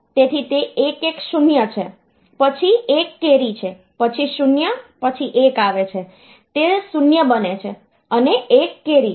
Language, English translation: Gujarati, So, it is 110 then there is a carry of 1, then 0, then 1 comes, it becomes a 0, and there is a carry of 1